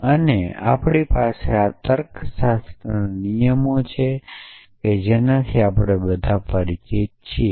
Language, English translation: Gujarati, And we have this logic rules that we all familiar with essentially